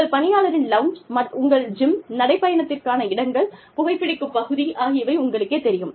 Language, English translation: Tamil, You know, your employee lounge, your gym, your places for a walk, your smoking area